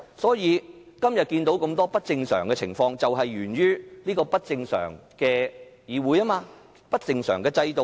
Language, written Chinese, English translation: Cantonese, 所以，今天看到這麼多不正常情況，就是源於這個不正常的議會和不正常的制度。, Hence the many abnormalities we see today are due to the abnormal Council and the abnormal system